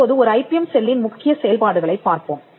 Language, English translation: Tamil, Now let us look at the core functions of an IPM cell